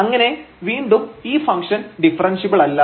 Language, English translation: Malayalam, And hence the given function is not differentiable